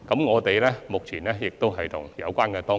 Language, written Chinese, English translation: Cantonese, 我們目前正諮詢有關當局。, We are currently consulting the relevant authorities